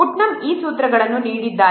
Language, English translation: Kannada, Putnam has given these formulas